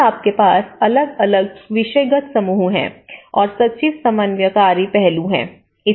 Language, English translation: Hindi, And you have different thematic groups and the secretary is the coordinating aspect